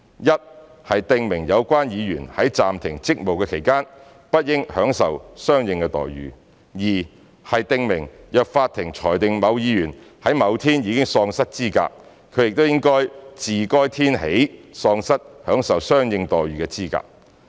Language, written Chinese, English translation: Cantonese, 一、是訂明有關議員在暫停職務期間，不應享受相應待遇；及二、是訂明若法庭裁定某議員在某天已喪失資格，他亦應自該天起喪失享受相應待遇的資格。, First to specify that the member concerned should not enjoy the corresponding treatment during the period of suspension; second to specify that if the court rules that a member has been disqualified from being a member on a certain day he should also be disqualified from enjoying the corresponding treatment from that day onwards